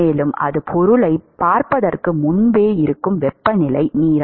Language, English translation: Tamil, And even before it sees the object the temperature steam